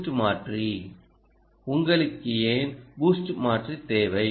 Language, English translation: Tamil, why do you need the boost converter